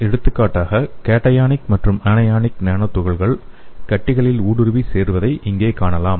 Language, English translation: Tamil, For example we can see here this cationic and anionic nano particles can penetrate and accumulate in tumors